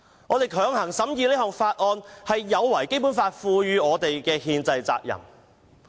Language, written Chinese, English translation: Cantonese, "我們強行審議《條例草案》，是有違《基本法》賦予我們的憲制責任。, The forced scrutiny of the Bill by us is in violation of the constitutional obligations entrusted to us by the Basic Law